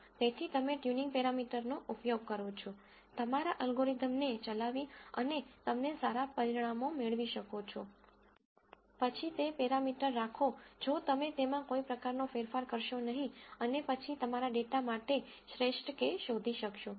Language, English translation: Gujarati, So, you use a tuning parameter, run your algorithm and you get good results, then keep that parameter if not you kind of play around with it and then find the best k for your data